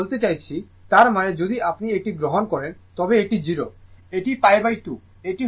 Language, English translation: Bengali, I mean, that means, if it is if you take this one, this is 0, this is what you call pi by 2